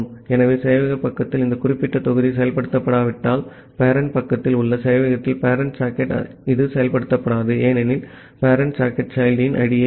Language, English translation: Tamil, So, in the server side this particular if block will not get executed, because in the server in the parent side, parent socket this will not get executed, because the parent socket will return the ID of the child